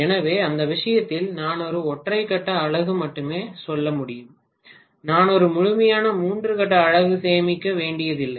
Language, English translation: Tamil, So in that case I can simply say only a single phase unit I do not have to save a complete three phase unit